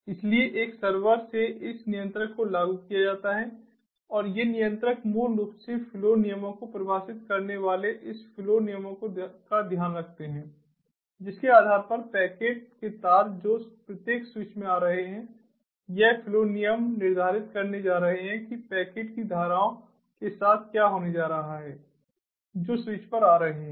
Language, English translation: Hindi, so, from a server, this controller is implemented and these controllers basically takes care of this flow rules, defining the flow rules based on which the strings of packets that are coming to each of the switches, this flow rules are going to determine what is going to be done with the streams of packets that are arriving at the switches